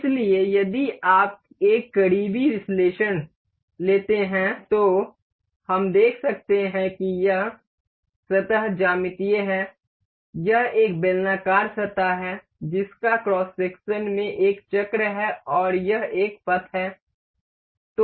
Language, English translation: Hindi, So, if you take a close analysis we can see that this surface is a geometrical this is a cylindrical surface that has a circle in in cross section and this is a path